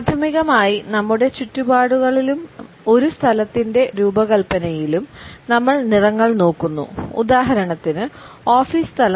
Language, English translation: Malayalam, Primarily, we look at colors in our surroundings and in the design of a space, offices space for example